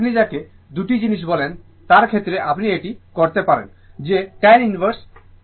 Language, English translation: Bengali, So, in the case of what you call two things you can do it that is tan inverse